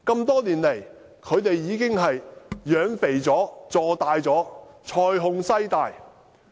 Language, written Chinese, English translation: Cantonese, 多年來，他們已經養肥了，坐大了，財雄勢大。, Over the years they have been well fed and have expanded with great financial strength and power